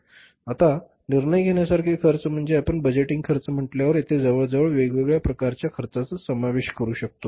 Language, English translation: Marathi, Now, decision making costs are, we, first of all, we can include almost different kind of the costs here